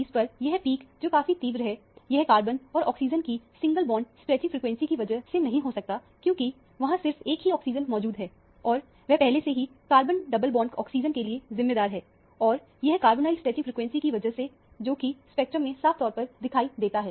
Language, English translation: Hindi, The peak at 1120, which is fairly intense; it cannot be due to carbon and oxygen single bond stretching frequency because there is only one oxygen present and that is already accounted for a carbon double bond oxygen, because of the carbonyl stretching frequency that is very visible in the spectrum